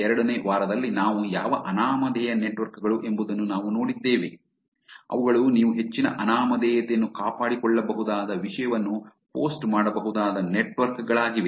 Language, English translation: Kannada, 2 we saw anonymous networks, which are networks where you can post content where you can maintain a high anonymity